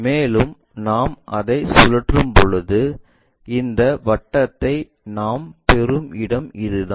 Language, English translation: Tamil, And, when we are rotating it, this is the place where we get this circle